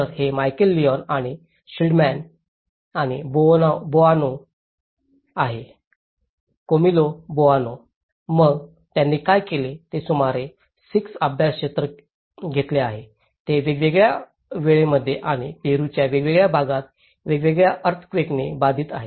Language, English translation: Marathi, So, this is Michael Leone and Schilderman and Boano; Camillo Boano, so what they did was they have taken about 6 study areas, which are affected by different earthquakes in different timings and different parts of Peru